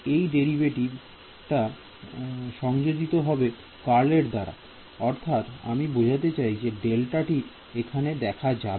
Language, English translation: Bengali, This derivative will be get replaced by curl and I mean the del will appear over there right